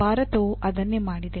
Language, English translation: Kannada, That is what India has also done